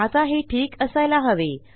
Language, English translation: Marathi, So that should be fine